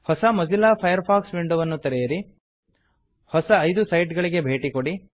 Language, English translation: Kannada, * Open a new Mozilla Firefox window, * Go to five new sites